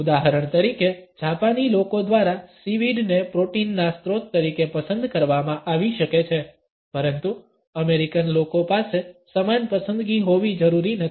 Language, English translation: Gujarati, For example, seaweed may be preferred as a source of protein by the Japanese people, but the American people may not necessarily have the same choice